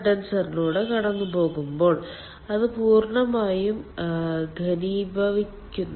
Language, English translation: Malayalam, after that it passes through the condenser, so it is condensed fully